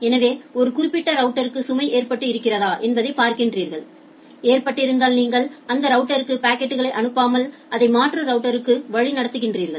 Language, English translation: Tamil, So, you find out that whether a particular router is loaded if a particular router is loaded then you rather not route the packet to that router rather you route it to some alternate router